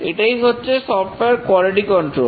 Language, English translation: Bengali, That's the software quality control